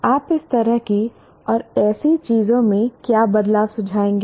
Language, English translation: Hindi, What changes to such and such thing would you recommend